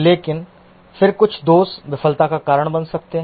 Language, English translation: Hindi, But then some of the faults may cause failure